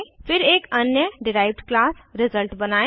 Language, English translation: Hindi, *Then create another derived class as result